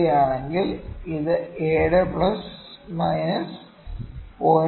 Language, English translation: Malayalam, 3, it is 7 plus minus 0